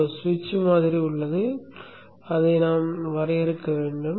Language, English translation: Tamil, There is a switch model which we need to define